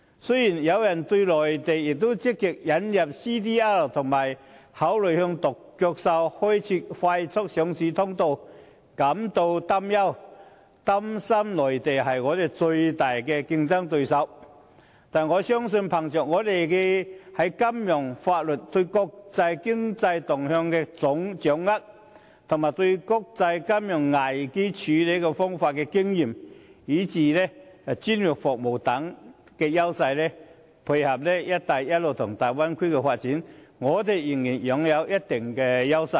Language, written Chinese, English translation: Cantonese, 雖然有人對內地也積極推動 CDR 及考慮向"獨角獸"企業開設快速上市通道感到擔憂，擔心內地將成為香港最大競爭對手，但我深信，憑藉我們的金融和法律體制，對國際經濟動向的掌握，應對國際金融危機的經驗，以至專業服務等優勢，配合"一帶一路"及大灣區的發展，香港仍然擁有一定優勢。, As the Mainland has actively promoted CDR and considered setting up a fast track for the listing of unicorns some people are worried that the Mainland will become Hong Kongs biggest competitor . Yet I deeply believe that given such edges as our financial and legal systems grasp of the international economic trend experience in dealing with international financial crises as well as professional services coupled with the development of the Belt and Road Initiative and the Bay Area Hong Kong still enjoys considerable advantages